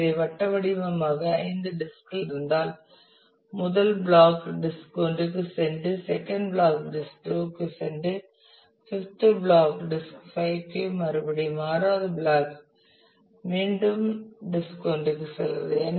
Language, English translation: Tamil, So, circularly so, the first goes if you have say five disks in the first block goes to disk one second to disk two fifth to disk 5 and the 6th again back to disk 1